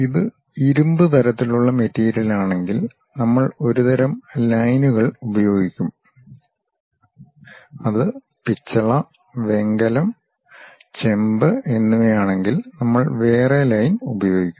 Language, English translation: Malayalam, If it is iron kind of material one kind of lines we use; if it is brass, bronze, copper different kind of things we will use; if it is wood different kind of lines